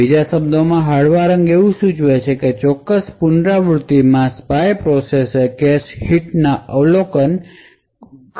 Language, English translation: Gujarati, In other words a lighter color would indicate that the spy process in that particular iteration had observed cache hits